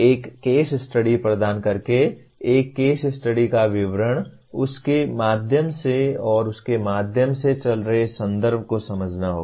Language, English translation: Hindi, By providing a case study, a description of a case study and running through that and through that you have to understand the context